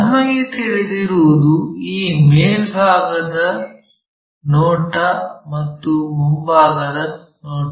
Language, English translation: Kannada, So, what we know is this top view we know front view we know